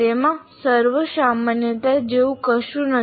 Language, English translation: Gujarati, So there is nothing like universality about it